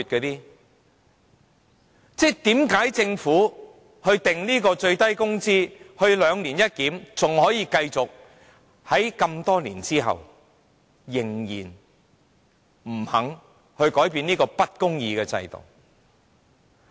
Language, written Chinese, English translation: Cantonese, 為何政府訂立最低工資時實施的"兩年一檢"仍然可以繼續，在這麼多年之後仍然不肯改變這個不公義的制度？, Why is it that the practice of conducting a biennial review adopted by the Government upon the introduction of the minimum wage can continue to apply as the Government still refuses to make changes to this unjust system after all these years?